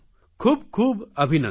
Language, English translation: Gujarati, Many congratulations to you